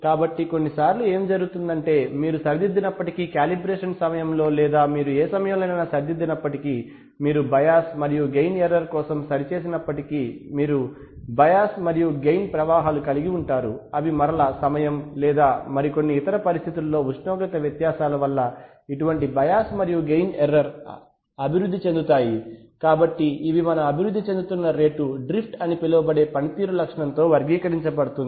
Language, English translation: Telugu, Next is drift so sometimes what happens is that even if you correct, even if you correct at any at some point of time during calibration even if you correct for the bias and the gain error you have drifts in the bias and the gain, so again such bias and gain errors can develop due to, you know, variations in temperature variations in time or some other conditions so the rate at which it these will develop our are characterized by a performance characteristic called drift